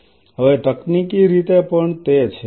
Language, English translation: Gujarati, As of now technologically it is